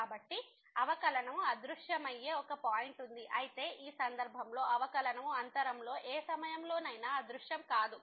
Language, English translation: Telugu, So, there is a point where the derivative vanishes whereas, in this case the derivative does not vanish at any point in the interval